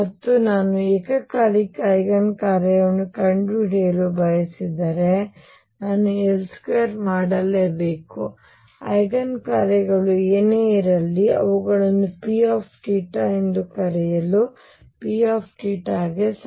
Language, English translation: Kannada, And if I want to find the simultaneous Eigen functions, I got to do L square; whatever those Eigen functions are let me call them P theta is equal to lambda P theta